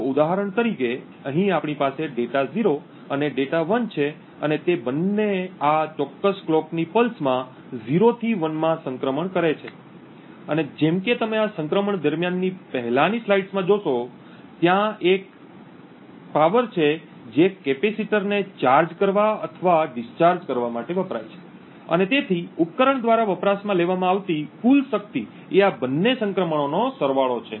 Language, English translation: Gujarati, So, for example over here we have data 0 and data 1 and both of them transition from 0 to 1 in this particular clock pulse and as you have seen in the previous slides during this transition there is a power that is consumed to charge and discharge the capacitor and therefore the total power consumed by the device is the sum of both these transitions